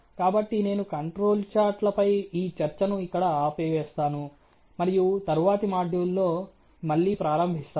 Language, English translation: Telugu, So, I think I will stop this discussion here on control charts probably begin again in the next module in the interest of time